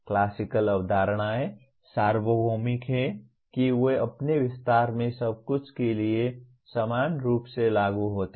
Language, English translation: Hindi, Classical concepts are universal in that they apply equally to everything in their extension